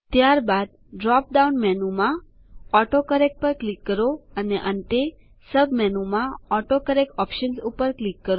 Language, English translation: Gujarati, Then click on AutoCorrect in the drop down menu and finally click on AutoCorrect Options in the sub menu